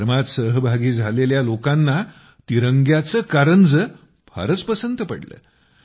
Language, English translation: Marathi, The people participating in the program liked the tricolor water fountain very much